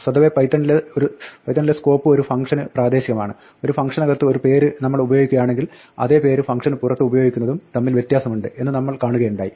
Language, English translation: Malayalam, Now by default in python scope is local to a function, we saw that if we use a name inside a function and that it is different from using the same name outside the function